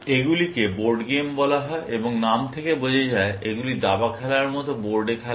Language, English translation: Bengali, These are called Board games, and as the name suggests, they are played on a board, like chess, for example